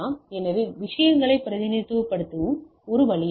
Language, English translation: Tamil, So, that is a way of representation of the things ok